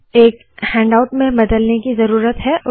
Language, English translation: Hindi, Now there is a need to convert this into a handout